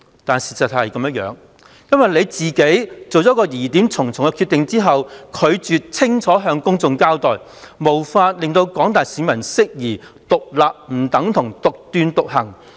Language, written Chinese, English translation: Cantonese, 不過，實情卻是，由於她作出了這個疑點重重的決定，又拒絕向公眾清楚交代，因而無法令廣大市民釋除對"獨立不等於獨斷獨行"的疑慮。, But the truth is that owing to her questionable decision and refusal to give people a clear account the general public are unable to allay their concern that independence does not mean arbitrariness